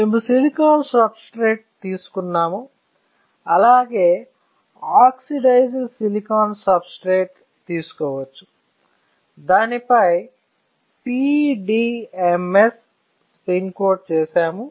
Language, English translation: Telugu, We have taken a silicon substrate; we can take an oxidized silicon substrate, on which we have spin coated PDMS right